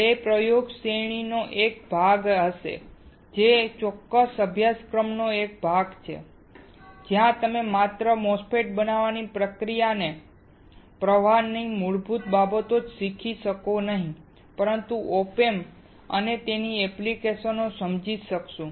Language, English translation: Gujarati, That will be part of the experiment series which is part of this particular course, where you not only you will learn the basics of the process flow for fabricating a MOSFET, but also understand op amps and its application